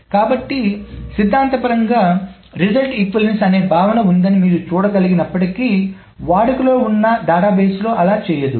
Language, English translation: Telugu, So although you can see that theoretically there is this notion of result equivalence, database engines do not do that